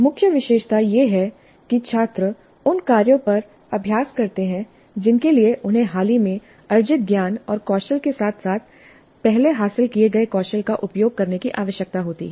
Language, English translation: Hindi, The key feature is that the students practice on tasks that require them to use recent acquired knowledge and skills as well as those acquired earlier